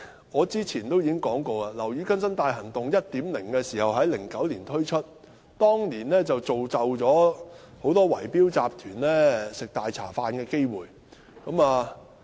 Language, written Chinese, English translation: Cantonese, 我早前已說過，"樓宇更新大行動 1.0" 在2009年推出，當年造就了很多圍標集團吃"大茶飯"的機會。, As I have said before when Operation Building Bright 1.0 was launched in 2009 it created many opportunities for bid - rigging syndicates to make lucrative gains